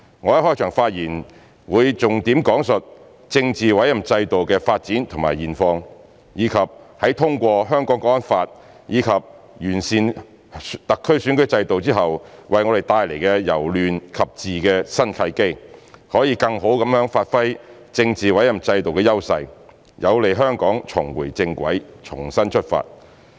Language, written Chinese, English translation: Cantonese, 我的開場發言會重點講述政治委任制度的發展和現況，以及在通過《香港國安法》及完善香港特區選舉制度後為我們帶來由亂及治的新契機，可以更好地發揮政治委任制度的優勢，有利香港重回正軌，重新出發。, In my opening remarks I will highlight the development and current status of our political appointment system as well as the new opportunity to move from chaos to stability after the passage of the National Security Law and the improvement to HKSARs electoral system so as to bring the advantage of the political appointment system into fuller play which is conducive to putting Hong Kong back on the right track and start afresh